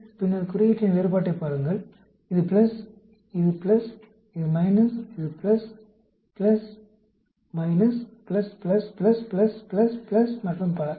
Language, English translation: Tamil, Again, then look at the sign difference; this is plus, plus, minus, plus, plus, minus, plus, plus, plus, plus, plus, plus and so on, actually